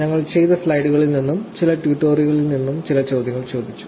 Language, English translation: Malayalam, We have just captured some questions from the slides that we did, and some from the tutorials